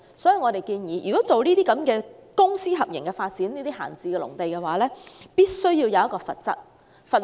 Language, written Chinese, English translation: Cantonese, 所以，我們建議以公私營合作模式發展閒置農地時，必須設立罰則。, To tackle that we suggest establishing a penalty system in respect of idle agricultural land development under a public - private partnership approach